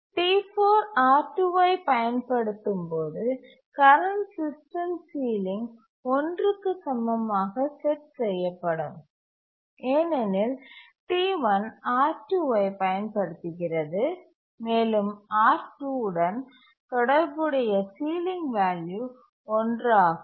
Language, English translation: Tamil, When T4 is using R2, the current system ceiling will be set equal to 1 because T1 also uses R2 and therefore the sealing value associated with R2 is 1 and the current system sealing will be set to 1